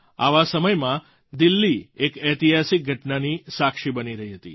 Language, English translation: Gujarati, In such an atmosphere, Delhi witnessed a historic event